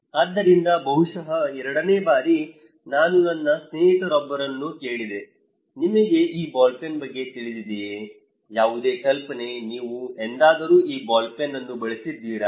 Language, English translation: Kannada, So, maybe in time 2, I asked one of my friend, hey, do you know about this ball pen, any idea, have you ever used this ball pen